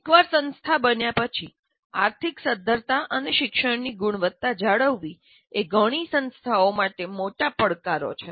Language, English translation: Gujarati, But once the institution created and maintaining financial viability and quality of learning is a major challenge to many institutions